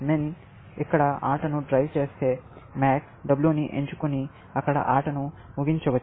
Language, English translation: Telugu, If min drives the game here, you can see, max can choose W, and end the game there